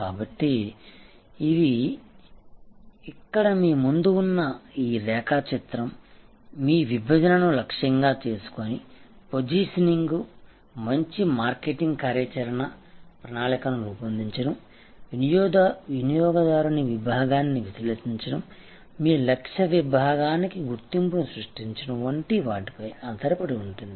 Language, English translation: Telugu, So, this diagram, which is in front of you here, that gives you a very composite and comprehensive understanding that to create your segmentation targeting positioning based marketing action plan will be based on analysing customer segment, creating the identification for the your target segment